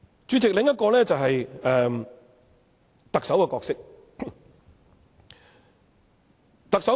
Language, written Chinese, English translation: Cantonese, 主席，另一個就是特首的角色。, Chairman another issue is the role of the Chief Executive